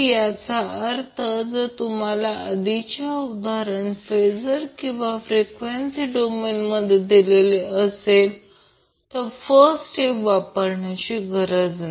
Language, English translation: Marathi, So that means if you already have the problem given in phasor or frequency domain, we need not to follow the first step